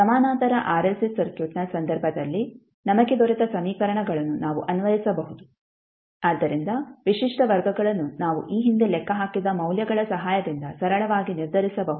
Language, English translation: Kannada, We can apply the equations which we got in case of Parallel RLC Circuit, so characteristic roots we can simply determined with the help of the values which we calculated previously